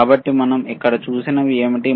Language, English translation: Telugu, So, what we have seen here